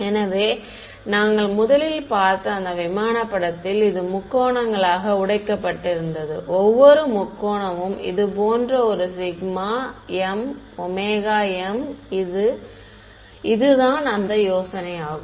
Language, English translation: Tamil, So, in that first picture where we saw that aircraft which was sort of broken up into triangles, each triangle is like this one sigma m omega m that is the idea